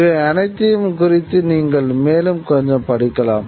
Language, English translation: Tamil, You can read a little bit more about all this